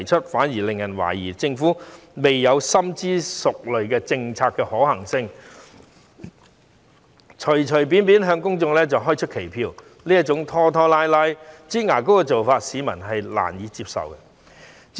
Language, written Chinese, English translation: Cantonese, 這反而令人覺得政府是在未有詳細研究政策的可行性前，就隨便向公眾開出期票，這種拖拖拉拉的做法，市民實在難以接受。, People would think that the Government was making an undertaking arbitrarily before a detailed study on the feasibility of the policy had been conducted . This kind of procrastinating approach is really unacceptable to the public